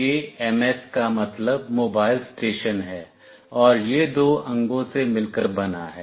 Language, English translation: Hindi, This MS is the Mobile Station, and it consists of two components